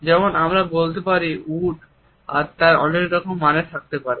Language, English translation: Bengali, For example, we may say wood and it may have some different meanings